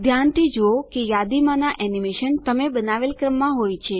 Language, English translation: Gujarati, Observe that the animation in the list are in the order in which you created them